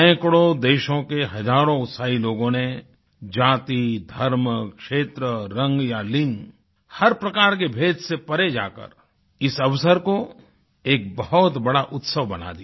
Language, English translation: Hindi, Zealous citizens of hundreds of lands overlooked divisions of caste, religion, region, colour and gender to transform this occasion into a massive festival